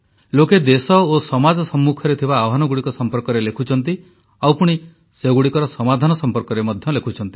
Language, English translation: Odia, People bring to the fore challenges facing the country and society; they also come out with solutions for the same